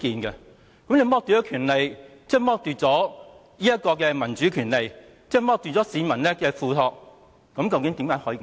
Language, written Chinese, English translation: Cantonese, 如果你剝奪我們的權利，即剝奪了民主權利，剝奪了市民的付託。, If you deprive our rights you are depriving our rights to democracy and our responsibilities entrusted by the public